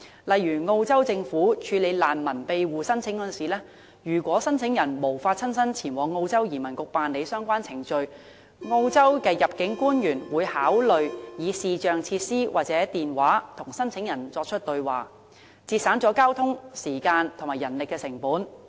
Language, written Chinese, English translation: Cantonese, 例如，澳洲政府處理難民庇護申請時，如果申請人無法親身前往澳洲移民局辦理相關程序，入境官員會考慮以視像設施或電話與申請人對話，節省交通時間和人力成本。, One of the examples is the Australian Governments handling of refugee protection application . An immigration officer in Australia may talk to an applicant for refugee protection via video facilities or telephone if the latter cannot go to the immigration office in person to complete the relevant procedures so as to reduce transportation time and manpower cost